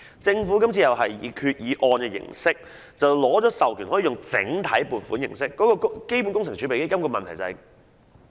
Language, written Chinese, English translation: Cantonese, 政府今次同樣希望透過決議案取得授權後採用整體撥款形式，而這正是基本工程儲備基金的問題所在。, This time around the Government also hopes to adopt the block vote approach after obtaining authorization by way of the Resolution and this is where the problem of CWRF lies